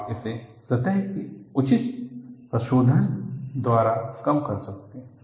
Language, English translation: Hindi, You can do it by proper surface treatments